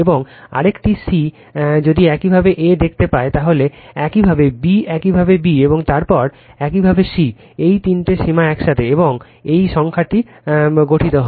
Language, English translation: Bengali, And another c if you see a, then your b your b, and then your c, all this three bounds together, and this numerical is formed right